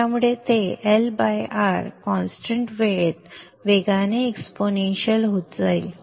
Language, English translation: Marathi, So it will be decaying with the L by R time constant exponentially